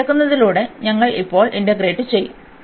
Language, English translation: Malayalam, And then taking this one we will integrate now